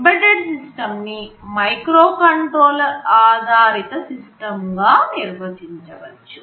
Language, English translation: Telugu, Well embedded system can be loosely defined as a microcontroller based system